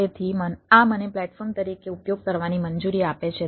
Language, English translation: Gujarati, so this allows me to use as a platform